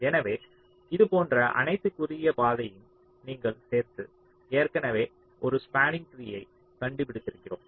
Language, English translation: Tamil, so if you include all the shortest path, like this: already we have found out a spanning tree